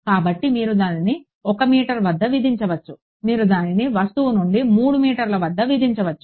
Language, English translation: Telugu, So, you can impose it at 1 meter, you can impose it at 3 meters from the object